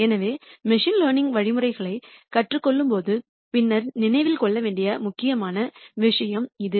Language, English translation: Tamil, So, that is an important thing to remember later when we when we learn machine learning algorithms